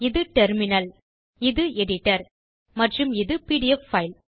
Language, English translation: Tamil, This is the terminal, this is the editor this is the pdf file